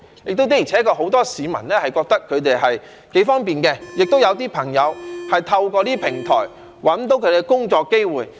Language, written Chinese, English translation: Cantonese, 再者，的而且確很多市民認為這是挺方便的，也有一些朋友透過這些平台找到他們的工作機會。, Besides many people honestly think that their services are quite convenient and some have even got a job through such platforms